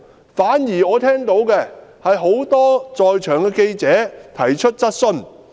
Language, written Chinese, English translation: Cantonese, 我反而聽到很多在場的記者提出質詢。, Instead I heard that many attending journalists putting questions to him